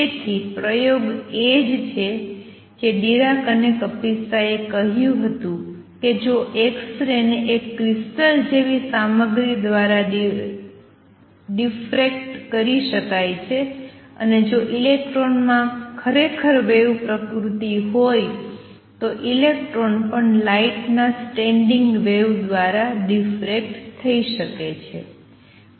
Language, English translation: Gujarati, So, the experiment is what Dirac and Kapitsa said is that if x rays can be diffracted by material that is a crystal, and if electrons really have wave nature then electrons can also be diffracted by standing wave of light